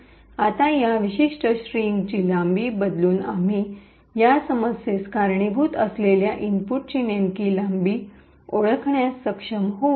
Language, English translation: Marathi, Now by changing the length of this particular string we would be able to identify the exact length of the input which causes this problem